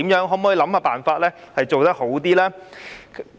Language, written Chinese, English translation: Cantonese, 可否想辦法做得更好？, Can it work out a way to do better?